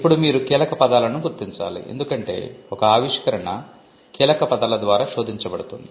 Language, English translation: Telugu, Now, you have to identify keywords because an invention is searched through keywords